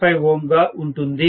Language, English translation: Telugu, 5 ohms in the 2